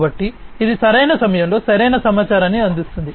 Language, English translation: Telugu, So, it provides correct information at the right time